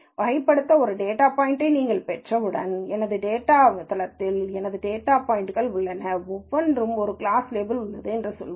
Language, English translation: Tamil, Once you get a data point to be classified, let us say I have N data points in my database and each has a class label